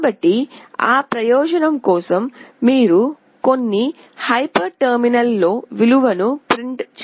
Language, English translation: Telugu, So, for that purpose you need to print the value in some hyper terminal